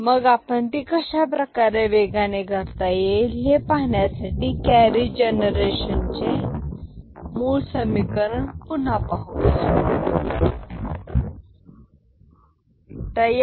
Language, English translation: Marathi, So, to do that let us again look at the basic equation of the carry generation